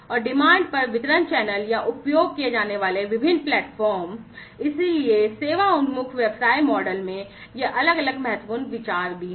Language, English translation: Hindi, And the distribution channels on demand or the different platforms that are used, so these are also different important considerations in the Service Oriented business model